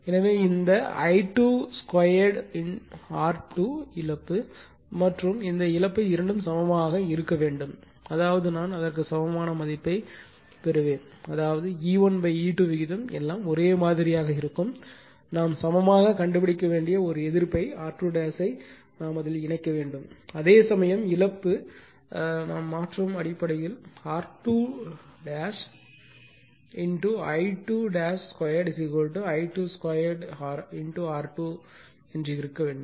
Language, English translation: Tamil, So, these loss and this I 2 square R 2 loss both has to be your equal both has to be equal such that I will get the value of equivalent up to that, such that your what you call thatyour E 1 by E 2 ratio everything will remain same only thing is that, we have to insert one resistance we have to find on equivalent is R 2 dash, right whereas the loss of this one R 2 dash into I 2 dash square is equal to I 2 square R 2 this has to be same based on that only we transfer, right